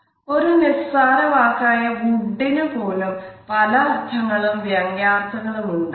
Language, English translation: Malayalam, Even a simple word like ‘wood’ may have different meanings and connotations